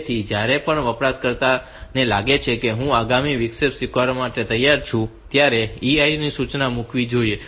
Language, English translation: Gujarati, So, whenever the user feels that now I am ready to accept the next interrupt should put the EI instruction